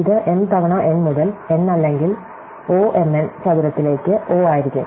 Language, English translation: Malayalam, So, therefore, this will be O of m times n into n or O m n square